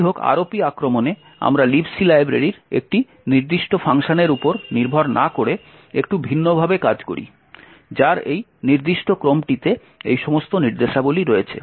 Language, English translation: Bengali, However, in the ROP attack we do things a little bit differently instead of relying on a specific function in the libc library which has all of these instructions in this particular sequence